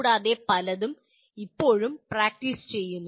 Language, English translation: Malayalam, Even many of them are still are practiced